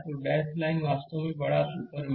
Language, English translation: Hindi, So, dash line is a actually larger super mesh